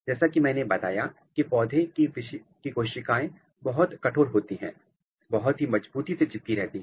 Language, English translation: Hindi, So, as I said that the plant cell wall are very rigid, it is very tightly glued